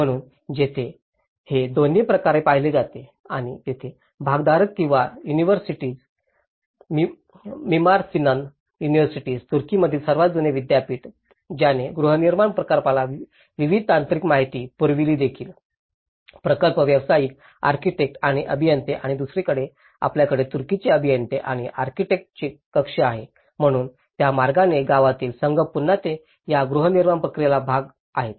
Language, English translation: Marathi, So, here the this is also looked from both the ends and here, the stakeholders where the universities, the Mimar Sinan University, the oldest university in Turkey who also provided various technical inputs to the housing project also, the project professionals, architects and engineers and on other side you have the chamber of Turkish engineers and architects, so in that way, the village teams again they are part of this housing construction process